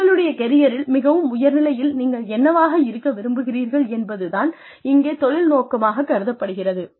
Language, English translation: Tamil, Career objective is, what you want to be, at the peak of your career